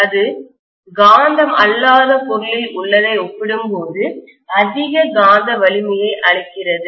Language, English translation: Tamil, It gives much more magnetic strength compared to what you have in a non magnetic material